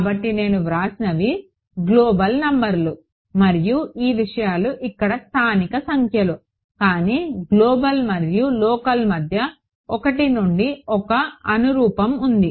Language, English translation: Telugu, So, what I have written are global numbers and these things over here these are local numbers, but there is a 1 to 1 correspondence between local and global and global and local ok